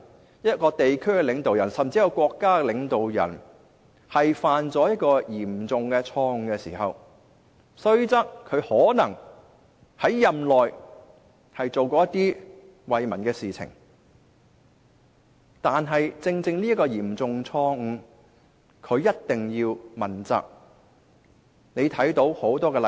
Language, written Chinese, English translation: Cantonese, 當一名地區甚至國家領導人犯下嚴重錯誤時，即使他任內可能做過惠民的事情，仍須對犯下的嚴重錯誤接受問責。, When the leader of a region or even a country has made a serious mistake even if he has done a lot to benefit the people when he is in office he still has to be held accountable for the serious mistake made